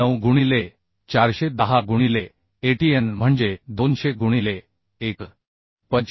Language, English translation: Marathi, 9 into 410 into Atn is 200 by 1